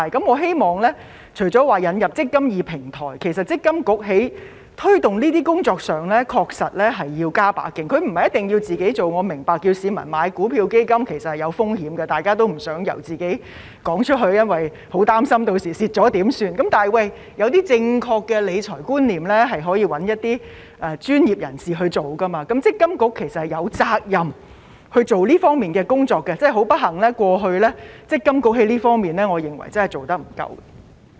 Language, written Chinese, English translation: Cantonese, 我希望除了引入"積金易"平台外，積金局在推動工作上確實要加把勁，不一定要由自己做，我明白叫市民買股票和基金其實是有風險的，大家也不想開口，擔心日後若有虧損時怎辦，但一些正確的理財觀念可以交由專業人士負責，積金局其實是有責任進行這方面的工作，但不幸地我認為積金局過去在這方面的工作並不足夠。, In addition to the introduction of the eMPF Platform I hope that MPFA can make more efforts in promotion not necessarily by itself as I understand that it might be risky and difficult to advise on buying stocks and funds . No one wants to say anything worrying about what to do if people lose money for this in the future . Nevertheless the instillation of some correct financial management concepts can be left to the professionals